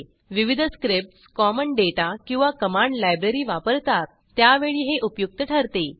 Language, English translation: Marathi, This is useful when multiple scripts use a common data or a function library